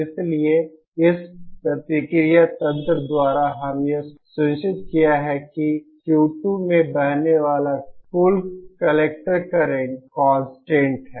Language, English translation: Hindi, So by this feedback mechanism we have we ensure that the total collector current flowing into Q 2 is constant Thank you